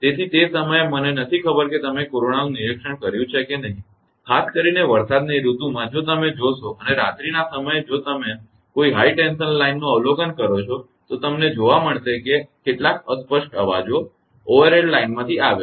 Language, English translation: Gujarati, So, at that time I do not know whether you have observed corona or not particularly in the rainy season if you will and in the night time if you observe a high tension line you will find some chattering noise comes from the overhead line